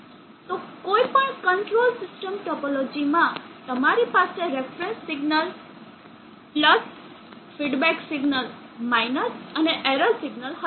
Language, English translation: Gujarati, So in any control system topology you will have a reference signal and feedback signal + and – and there will be an error signal